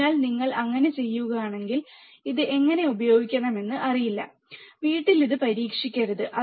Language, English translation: Malayalam, So, if you do not know how to use it, do not try it at home